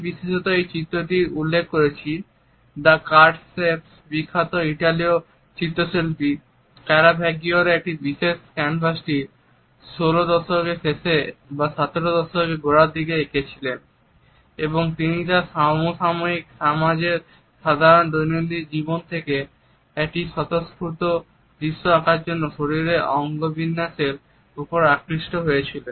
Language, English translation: Bengali, I particularly refer to this painting The Cardsharps by the famous Italian painter Caravaggio who had painted this particular canvas in late 16th or early 17th century and he has drawn on kinesics the body postures to paint a libelous scene from the low everyday life of his contemporary society